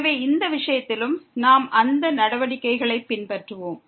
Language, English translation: Tamil, So, in this case also we will follow those steps